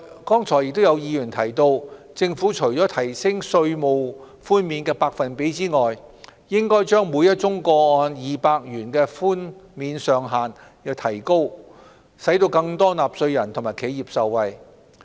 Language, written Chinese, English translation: Cantonese, 剛才亦有議員提出，政府除提升稅務寬免的百分比外，應該把每宗個案2萬元的寬免上限調高，使更多納稅人和企業受惠。, Earlier on some Members have also suggested that apart from raising the tax concession rate the Government should raise the ceiling of 20,000 per case so as to benefit more taxpayers and enterprises